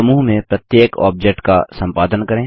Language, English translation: Hindi, Only the objects within the group can be edited